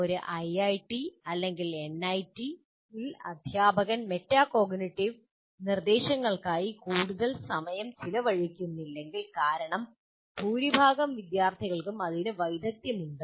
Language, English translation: Malayalam, So in an IIT or in an NIT, if you don't, if the teacher doesn't spend much time on metacognitive instruction, it may be okay because people are able to, they already have that skill, that ability